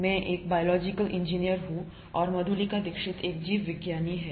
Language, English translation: Hindi, I am a biological engineer, Madhulika Dixit is a biologist